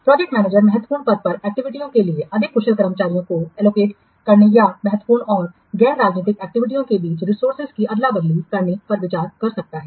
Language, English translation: Hindi, The project manager may consider allocating more efficient staff to activities on the critical path or swapping resources between critical and non critical activities